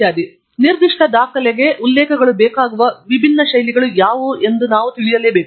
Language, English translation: Kannada, So, we must be aware of what are the different styles in which the references are required for a particular document